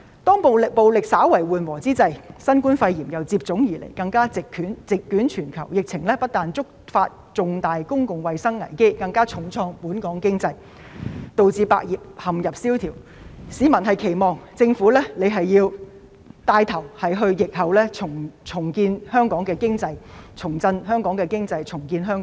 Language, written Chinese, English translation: Cantonese, 當暴力稍為緩和之際，新冠肺炎又接踵而來，更加席捲全球，疫情不單觸發重大公共衞生危機，更重創本港經濟，導致百業蕭條，市民期望政府能夠牽頭在疫後重振香港經濟，重建香港。, When violence has slightly eased the novel coronavirus epidemic emerged and even affected the whole world . The epidemic has not only triggered a serious public health crisis but also hit our economy hard . As a result many industries have languished thus the public expects the Government to take the lead in revitalizing our economy and rebuild Hong Kong after the epidemic